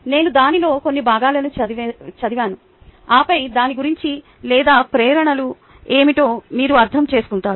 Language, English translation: Telugu, let me read out some parts of it and then you would understand what it is all about or what the motivations are